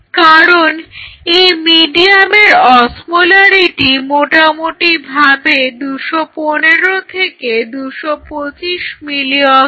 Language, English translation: Bengali, Because the osmolarity of this medium is approximately 215 to 225 milliosmole